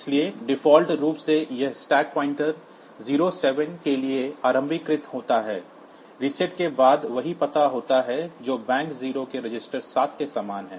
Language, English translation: Hindi, So, by default these stack pointer is initialized to 07, after the reset that is same address as the register 7 of bank 0